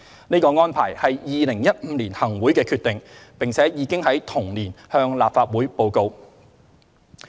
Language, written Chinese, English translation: Cantonese, 這個安排是2015年行會的決定，並已經在同年向立法會報告。, This arrangement was a decision of the Chief Executive in Council in 2015 and was reported to the Legislative Council in the same year